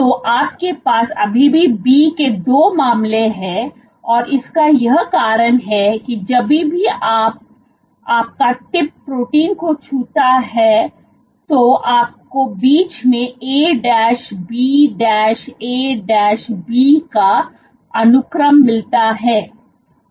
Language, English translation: Hindi, So, you still have 2 cases; B because wherever your tip touches the protein you are bound to have A B A B sequences in between ok